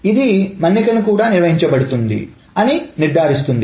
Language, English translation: Telugu, It also ensures that durability has maintained